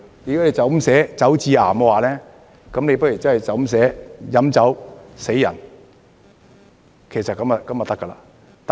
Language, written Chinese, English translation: Cantonese, 如果你這樣寫"酒致癌"，不如寫"飲酒死人"，這樣便可以了。, If you state Alcohol causes cancer you might as well state Alcohol kills people